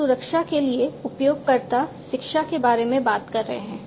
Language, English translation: Hindi, So, we are talking about, you know, end user education for security